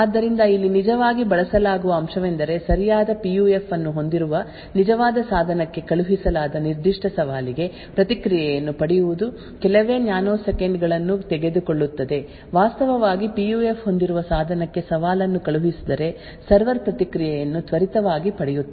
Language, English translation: Kannada, So the fact that is actually use over here is that is for a particular challenge that is sent to the actual device that owns the right PUF, obtaining the response will just take a few nanoseconds therefore, if a challenge is sent to the device which actually has the PUF the server would obtain the response very quickly